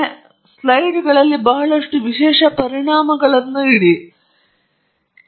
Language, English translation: Kannada, So, this slide has a lot of special effects